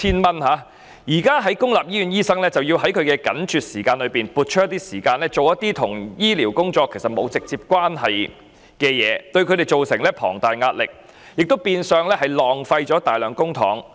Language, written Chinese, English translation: Cantonese, 不過，現時公立醫院醫生卻要在緊絀的時間內撥出時間執行一些與醫療沒有直接關係的工作，對他們造成龐大壓力，亦變相浪費大量公帑。, But at present public hospital doctors can only squeeze time out of their already tight schedules to do those tasks which are not directly related to medical services . This has brought immense pressure on them and indirectly caused a massive wastage of our public money